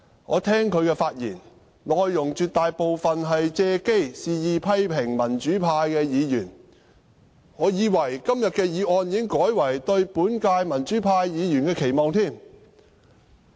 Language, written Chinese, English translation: Cantonese, 我聽其發言，內容絕大部分是借機肆意批評民主派議員，我還以為今天的議案已改為"對本屆民主派議員的期望"。, But after listening to him I observe that most of the time he simply used the opportunity to lash out at pro - democracy Members as he liked . Having listened to what he said I thought the motion today had changed to Expectations for the current - term pro - democracy Members